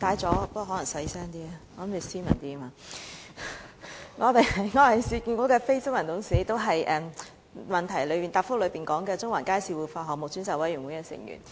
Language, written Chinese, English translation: Cantonese, 主席，我申報我是市建局的非執行董事，也是主體答覆提到的中環街市活化項目專責委員會成員。, President I declare that I am a Non - Executive Director of URA and also a member of the Ad Hoc Committee on the Central Market Revitalization Project mentioned in the main reply